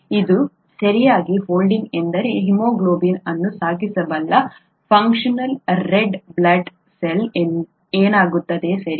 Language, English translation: Kannada, ItÕs folding correctly is what is going to result in a functional red blood cell which can carry haemoglobin, okay